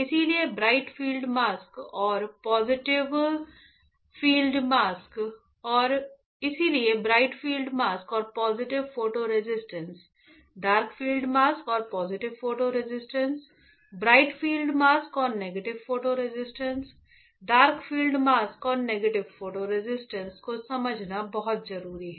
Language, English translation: Hindi, So, extremely important to understand bright field mask and positive photo resist, dark field mask and positive photo resist, bright field mask and negative photo resist, bright field mask, dark field mask and negative photo resist